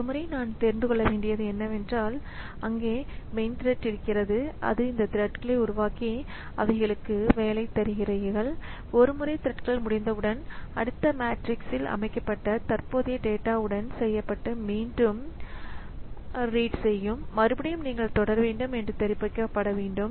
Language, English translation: Tamil, So, once, so I need to know that there is a main thread which creates all these threads and gives the job to them and once the threads are over, threads are done with the current data set then the next matrix will be read and again they will be they should be informed that now we should continue